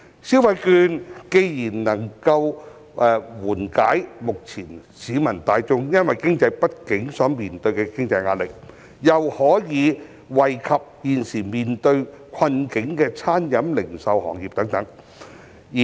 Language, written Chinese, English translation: Cantonese, 消費券既能緩解目前市民大眾因經濟不景所面對的經濟壓力，又可以惠及現時面對困境的餐飲業、零售業等。, The vouchers do not only ease the financial pressure faced by the general public due to the current economic downturn but also benefit the catering retail and other industries which are currently facing difficulties